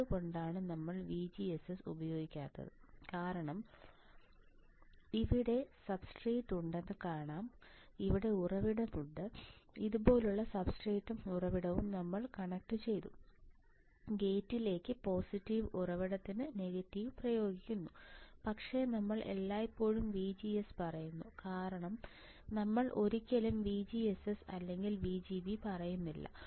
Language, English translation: Malayalam, Why we are not using VGSS is because here see substrate is there , here the source is there right and we have connected the substrate and source like this we apply negative to source positive to gate, but we always say VGS we never say VGSS or VGB because source and substrate are connected internally